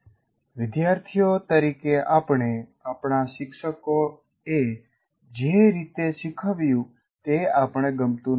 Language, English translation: Gujarati, And as students, we did not like the way our most of our teachers taught